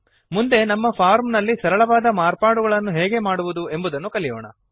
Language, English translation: Kannada, Next, let us learn how to make simple modifications to our form